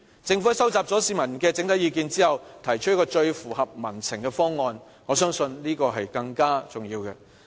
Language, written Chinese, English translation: Cantonese, 政府收集了市民的整體意見之後，提出一個最符合民情的方案，我相信這是更重要的。, After collecting the overall views in society the Government can then come up with a proposal perfectly in line with peoples aspiration . I think this is more important